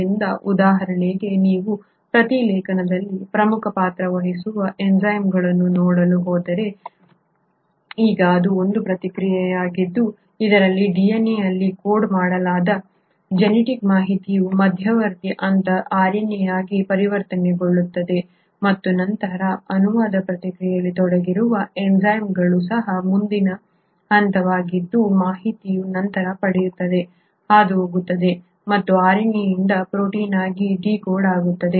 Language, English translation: Kannada, So for example if you are going to look at the enzymes which play an important role in transcription; now this is a process wherein this is a process wherein the genetic information which is coded in DNA gets converted to an intermediary step or RNA and then even the enzymes which are involved in the process of translation which is a next subsequent step wherein information then gets passed on and gets decoded from RNA into protein